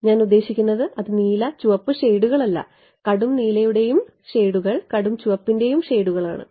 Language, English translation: Malayalam, I mean that is the shades of blue and red shades of not blue and red shades of dark blue and dark red